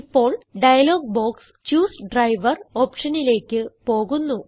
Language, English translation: Malayalam, Now, the dialog box switches to the Choose Driver option